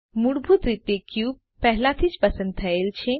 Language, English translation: Gujarati, By default, the cube is already selected